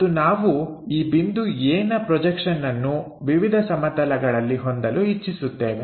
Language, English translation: Kannada, And, we are interested in projection of this point A onto different planes